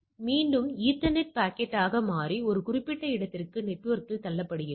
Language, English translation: Tamil, So, it becomes again ethernet packet and push into the network for a particular destination